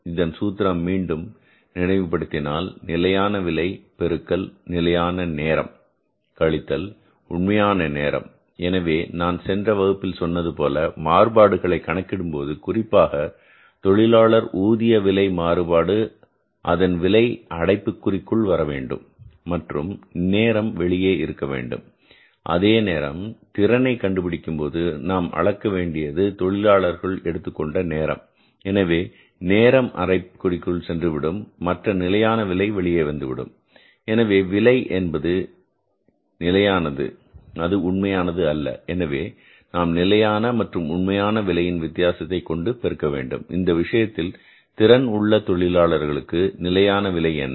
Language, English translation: Tamil, The formula is, again, let's's recall the formula the formula is standard rate into standard rate into standard time minus actual time standard time minus actual time so now as I told you in the previous class the various which you want to calculate if you want to calculate the labor rate of pay variance the rate will go inside the bracket and time will come out if you want to find out the efficiency the efficiency is measured in terms of the time taken by the labor so that time will go inside the bracket and the standard rate will come outside so rate will be standard not actual and you will be multiplying this time difference between the standard and actual by the rate